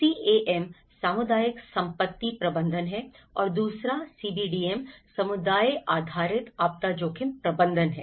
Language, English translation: Hindi, CAM is community asset management and the second one is CBD community based disaster risk management